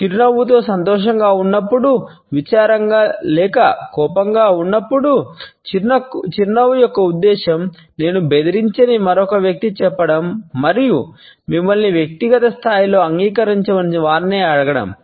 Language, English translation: Telugu, Smiling search the purpose of telling another person you are none threatening and ask them to accept you on a personal level